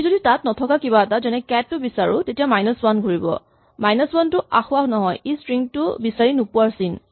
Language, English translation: Assamese, If on the other hand I look for something which is not there like "cat" then find will return minus 1, so minus 1 is not the error but the indication that the string was not found